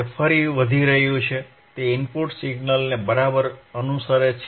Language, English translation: Gujarati, the It is increasing again, it is following the input signal right